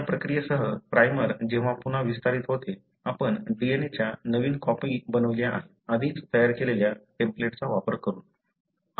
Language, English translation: Marathi, With this process, when again the primer gets extended you have made new copies of DNA, using the template that were already made